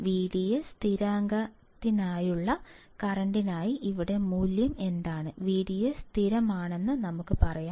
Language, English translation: Malayalam, That what is the value here for current for V D S constant, let us say V D S is constant